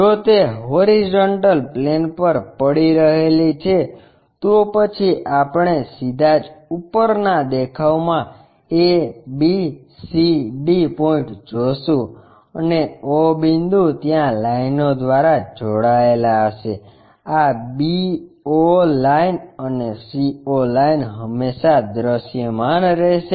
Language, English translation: Gujarati, If it is resting on horizontal plane then we will see a, b, c, d points straight away in that top view and o point they will be connected by lines, this b o line and c o line always be visible